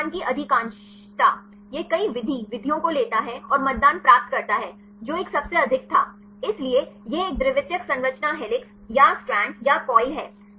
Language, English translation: Hindi, Majority of voting; it takes the several method methods and get the voting which one was the highest one; so, that is a secondary structure helix or strand or coil